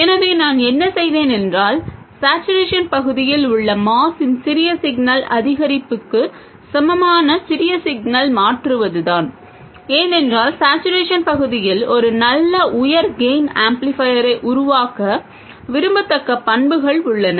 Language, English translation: Tamil, So, what I have done is to replace this with the small signal incremental equivalent of moss in saturation region, because in saturation region we have the characteristics which are desirable to make a good high gain amplifier